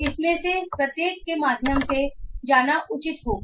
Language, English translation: Hindi, It will be advisable to go through each of this